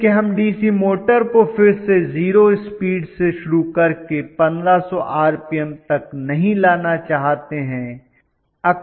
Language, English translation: Hindi, Because we do not want to again start the DC motor from 0 speed bring it up to 1500 rpm and so on so forth